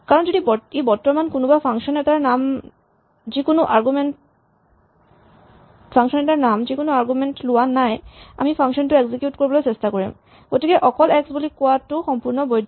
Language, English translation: Assamese, So, you can just write x because if it is currently in name of a function which takes no arguments we will try to execute that function, so it is perfectly valid to just write x